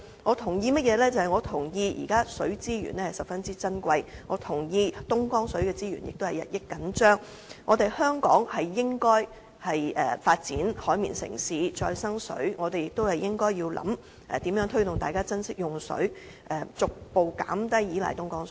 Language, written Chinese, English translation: Cantonese, 我同意現時水資源十分珍貴，我同意東江水資源也日益緊張，香港應該發展"海綿城市"和再生水，我們亦應思考如何推動大家珍惜用水，逐步減低依賴東江水。, I agree that our existing water resources are very precious and I also agree that water resources from Dongjiang have become increasingly tight . Hong Kong should develop itself into a Sponge City and recycled water . We should also think about ways to encourage people to treasure our water resources and gradually reduce our reliance on Dongjiang water